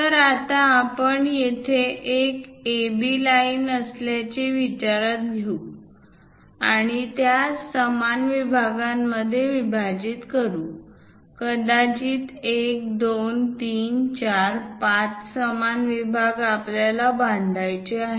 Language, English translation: Marathi, So, let us consider there is a line AB, and we would like to divide that into equal segments; perhaps 1, 2, 3, 4, 5 equal segments we would like to construct